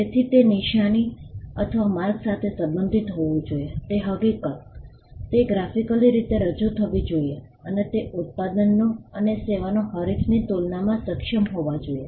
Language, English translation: Gujarati, So, the fact that it should pertain to a sign or a mark, it should be represented graphically, and it should be able to distinguish the products and services from that of a competitor